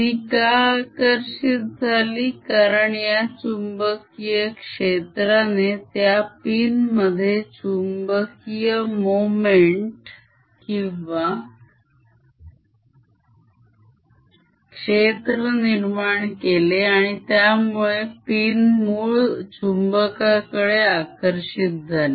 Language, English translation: Marathi, why it gets attracted is because this magnetic field develops a magnetic moment or a magnet in this pin itself and the pin gets attracted towards the original magnet